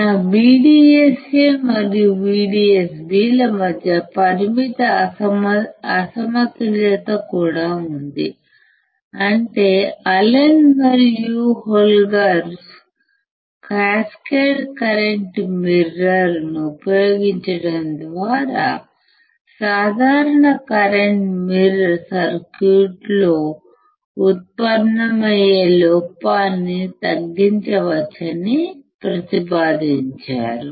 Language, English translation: Telugu, Even there is a finite mismatch between my VDSA and VDSB; that means, Allen or Holberg proposed that by using the cascaded kind of current mirror, we can reduce the error generated in the simplest current mirror circuits